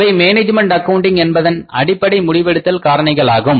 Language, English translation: Tamil, They are the basic decision making factors in the management accounting